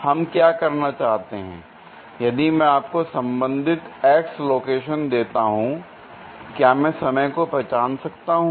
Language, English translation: Hindi, What we want to do is, if I give you a corresponding x location, can I identify a time